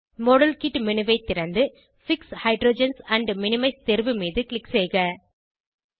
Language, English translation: Tamil, Open the modelkit menu and click on fix hydrogens and minimize option